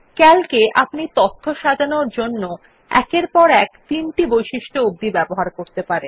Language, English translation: Bengali, In Calc, you can sort the data using upto three criteria, which are then applied one after another